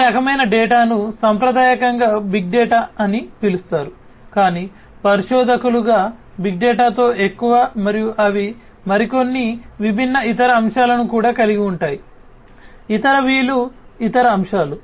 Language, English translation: Telugu, These kind of data traditionally were termed as big data, but as researchers you know what with big data more and more they also included few more different other aspects; other aspects other V’s in fact